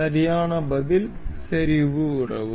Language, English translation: Tamil, The correct answer is the concentric relation